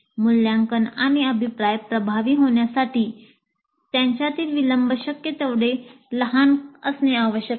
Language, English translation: Marathi, So the delay between assessment and feedback must be as small as possible